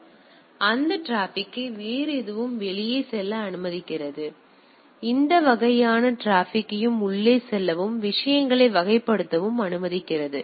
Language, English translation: Tamil, So, it allows the HTTP traffic to go out nothing else; it allows any type of traffic to goes in and type of things